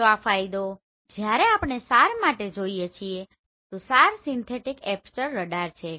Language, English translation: Gujarati, So this is the advantage when we are going for SAR so SAR is synthetic aperture radar